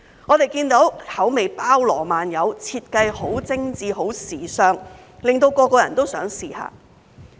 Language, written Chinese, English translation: Cantonese, 我們看到口味包羅萬有、設計很精緻、很時尚，令人人都想一試。, We see that a wide range of flavors are offered and the designs are sophisticated and stylish which make everyone want to have a try